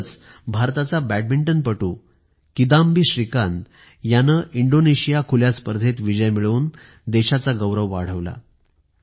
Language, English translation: Marathi, Recently India's Badminton player, Kidambi Shrikant has brought glory to the nation by winning Indonesia Open